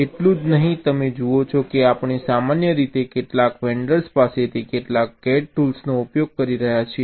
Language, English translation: Gujarati, not only that, you see, we are typically using some cad tools from some of the vendors right now